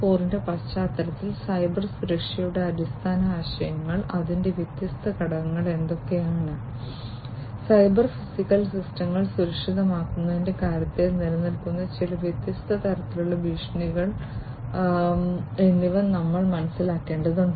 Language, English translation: Malayalam, 0 we need to understand the basic concepts of Cybersecurity, what are the different elements of it, and some of the different types of threats that are there in terms of securing the cyber physical systems in the industries